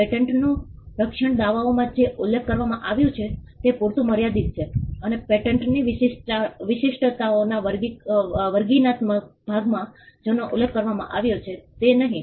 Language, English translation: Gujarati, The protection in a patent is confined to what is mentioned in the claims and not what is mentioned in the descriptive part of the pattern specifications